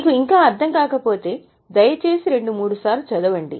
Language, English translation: Telugu, If you have still not understood it, please read it two, three times